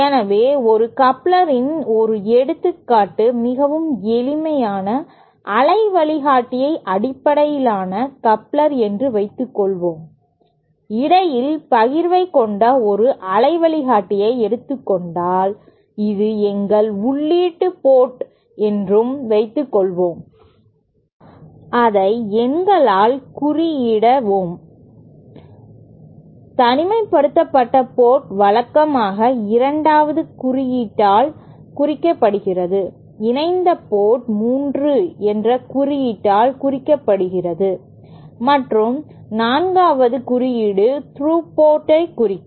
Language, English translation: Tamil, So, one example of a coupler, a very simple waveguide based coupler is suppose, suppose we have a waveguide with the partition in between and suppose this is our input port, let us number this, isolated port is usually represented by the symbol 2, coupled port is represented by the symbol 3 and throughput by the symbol 4